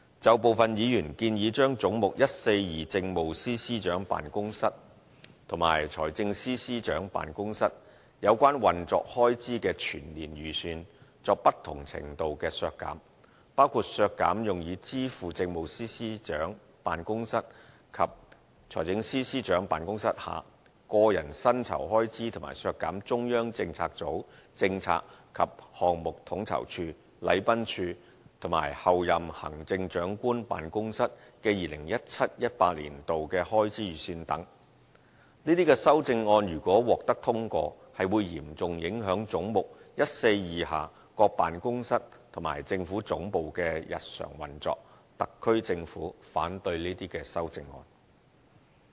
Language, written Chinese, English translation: Cantonese, 就部分議員建議將"總目 142― 政府總部：政務司司長辦公室和財政司司長辦公室"有關運作開支的全年預算作不同程度的削減，包括削減用以支付政務司司長辦公室及財政司司長辦公室下個人薪酬開支，和削減中央政策組政策及項目統籌處、禮賓處和候任行政長官辦公室的 2017-2018 年度的開支預算等，這些修正案如果獲得通過，是會嚴重影響總目142下各辦公室和政府總部的日常運作，特區政府反對這些修正案。, Some Members suggest different degrees of reduction in the estimated annual operating expenses for Head 142―Government Secretariat Offices of the Chief Secretary for Administration and the Financial Secretary including cutting the expenses on the payment of personal emoluments and allowances for the Offices of the Chief Secretary for Administration and the Financial Secretary and cutting the estimated expenditures for 2017 - 2018 of the Central Policy Unit CPU the Policy and Project Co - ordination Unit the Protocol Division and the Office of the Chief Executive - elect . If these amendments are passed the daily operation of various offices and the Government Secretariat under head 142 will be seriously affected . The SAR Government is against these amendments